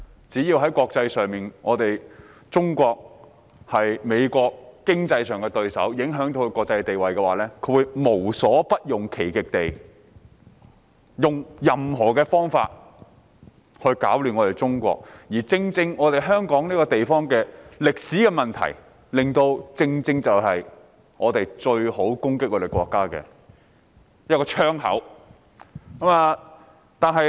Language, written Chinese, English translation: Cantonese, 只要中國在國際上仍是美國的經濟對手及影響到其國際地位，美國便會無所不用其極地以任何方式攪亂中國，而正正因為香港這個地方的歷史問題，令香港成為別人攻擊我們國家的最佳窗口。, As long as China remains an economic rival of the United States in the global arena and affects its international status it will go to any length to cause trouble to China in any way . And it is precisely the historical issues of Hong Kong that has rendered it as the best window for others to attack our country